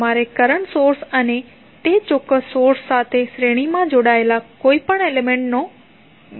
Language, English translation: Gujarati, You have to exclude the current source and any element connected in series with that particular source